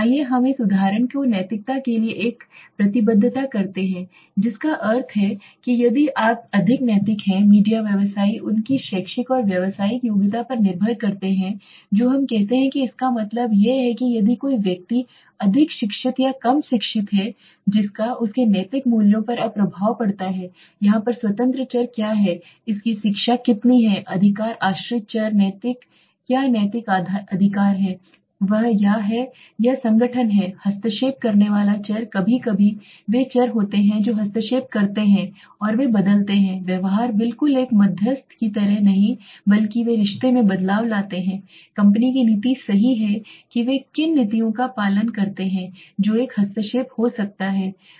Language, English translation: Hindi, Let us take this example does a commitment to ethics that means if you are more ethical among media practitioners depend on their educational and professional qualification do we say that means if a person is more educated or less educated that have an effect on his ethical values now what is the independent variable here educational attainment how much of education he is got right what is the dependent variable ethical how ethical right he is or she is or the organization is what is the intervening variable are sometimes those variables which interfere and they change the behave like a kind of a not exactly a moderator but they bring in the change in relationship right so the policy of the company what policies do they follow that could be an intervening variable